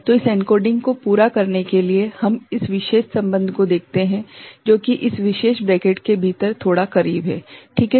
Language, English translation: Hindi, So get this encoding done we look at this particular relationship which is there within this bracket a bit closer ok